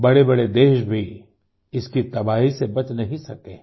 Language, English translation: Hindi, Even big countries were not spared from its devastation